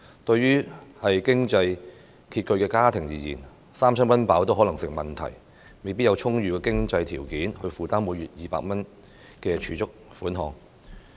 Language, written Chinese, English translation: Cantonese, 對於經濟拮据的家庭而言，三餐溫飽可能亦成問題，未必有充裕的經濟條件負擔每月200元的儲蓄款項。, Yet families with less financial means can hardly make ends meet such that they may not have adequate financial resources to afford saving 200 per month